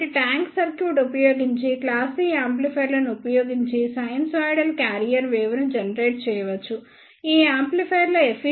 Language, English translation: Telugu, So, using the tank circuit one can generate a sinusoidal carrier wave using the class C amplifiers the efficiency of these amplifiers is around 95 percent